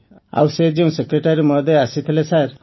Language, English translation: Odia, And the secretary who had come sir…